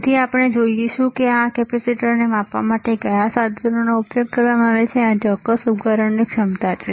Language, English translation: Gujarati, So, we will also see how what is the equipment used to measure this capacitor, there is the capacitance of this particular device